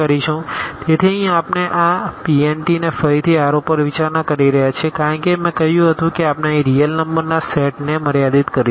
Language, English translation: Gujarati, So, here we are considering this P n t again over R as I said we will be restricting to a set of real number here